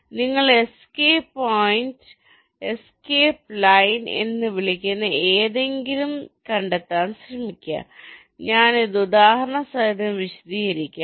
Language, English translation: Malayalam, so you try to find out something called escape point and escape line, and i will explain this with example